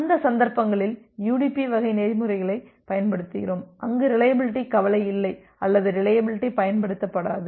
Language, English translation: Tamil, And in that cases we use UDP type of protocols where reliability is not a concern or reliability is not used